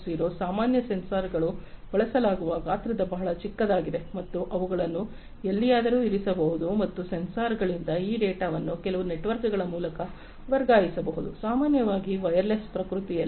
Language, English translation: Kannada, 0 in general sensors that are used are very small in size, and they can be placed anywhere and these data from the sensors can be transferred over some networks, typically, wireless in nature